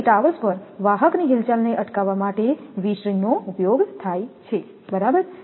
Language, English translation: Gujarati, So, V strings are used to prevent conductor movement at towers right